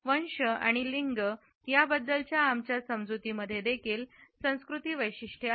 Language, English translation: Marathi, Our understandings of race and gender are also culture specific